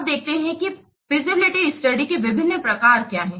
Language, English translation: Hindi, Now let's see what are the different types of feasibility study